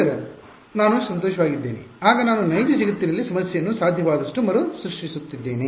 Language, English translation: Kannada, Then I am happy then I am recreating the real world problem as far as possible right